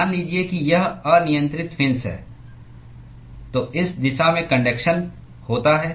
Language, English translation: Hindi, Supposing if this is the arbitrary fin, the conduction occurs in this direction